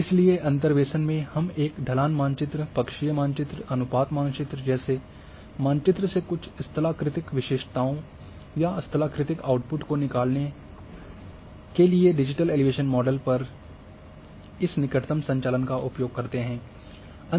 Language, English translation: Hindi, So, in interpolation we also use this neighbourhood operations over a say digital elevation model to drive certain topographic features or topographic outputs from a map like a slope map,aspect map, gradient map